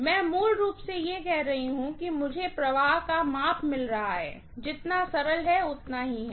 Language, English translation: Hindi, I am basically saying that I am getting a measure of flux, as simple as that, that is all